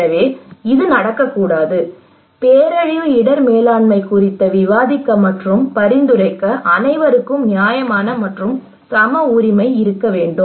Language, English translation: Tamil, So that should not happen, everybody should have the fair and equal right to discuss and suggest on disaster risk management